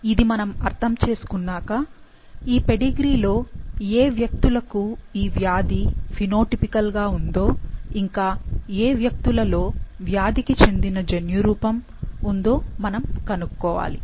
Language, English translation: Telugu, Having learnt that, in this pedigree we need to find out individuals with the disease that are phenotypically showing it and the ones who have the genotype for it